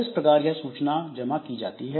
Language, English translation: Hindi, So, that way this information has to be stored